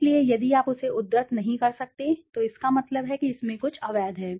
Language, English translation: Hindi, So if you cannot cite it, that means there is something illegal in that